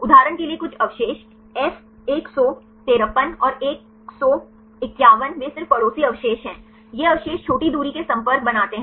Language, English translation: Hindi, Some residues for example, F 153 and 151 they are just neighboring residues, these residues form short range contacts